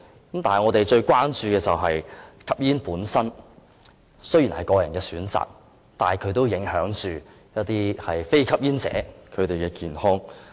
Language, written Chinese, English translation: Cantonese, 但是，我們最關注的是，吸煙本身雖然是個人選擇，但也影響一些非吸煙者的健康。, Our greatest concern is although smoking per se is a personal choice it affects the health of some non - smokers